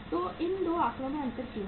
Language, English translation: Hindi, So why the difference in these 2 figures is there